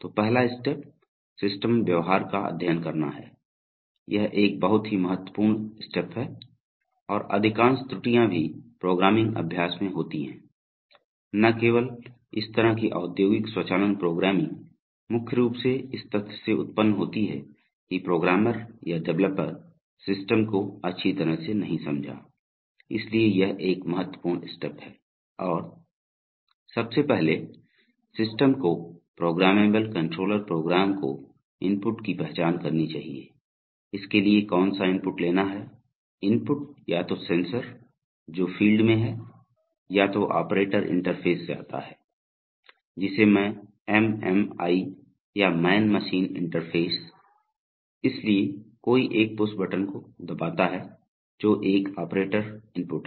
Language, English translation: Hindi, So first step is to study the system behavior, this is a very critical step and most of the errors that happen in any programming exercise, not only this kind of industrial automation programming, any programming mainly arises from the fact that the programmer or the developer did not understand the system well, so this is a very important step and, One must first of all identify inputs to this, to the system, that is the programmable controller program, what inputs it will take, inputs can come from either from sensors in the field or it comes from operator interface, which I call the MMI or the man machine interface, so somebody presses a pushbutton, that is an operator input, right